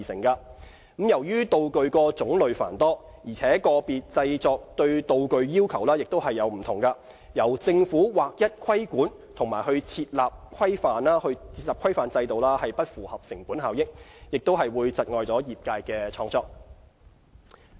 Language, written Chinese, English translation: Cantonese, 由於道具種類繁多，而個別製作對道具要求各異，由政府劃一規管和設立規範制度不符合成本效益，亦會窒礙業界的創作。, Given the tremendous variety and types of props and the different requirements of and for props peculiar to different productions it would not be cost - effective for the Government to standardize the regulation of the making of different props a move which would also dampen the creativity of the industry